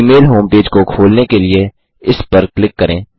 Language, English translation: Hindi, Lets click on this to open the gmail home page